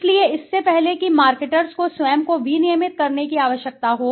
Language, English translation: Hindi, So, before that happens marketers need to self regulate themselves